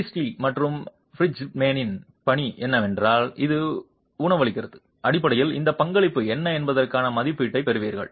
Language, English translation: Tamil, Priestley and Bridgman's work is what it feeds into and basically you get an estimate of what this contribution is